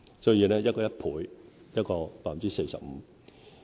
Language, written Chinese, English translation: Cantonese, 所以，一個是1倍，一個是 45%。, Thus two figures are involved one being an increase of 100 % and the other an increase of 45 %